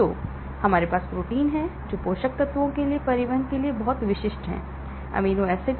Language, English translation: Hindi, So, we have proteins which are very specific for transporting the nutrients, the amino acids inside